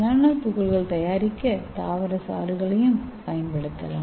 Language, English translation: Tamil, And we can also use yeast for making the nanoparticles